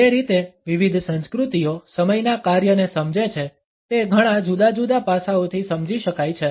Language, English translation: Gujarati, The way different cultures understand the function of time can be understood from several different angles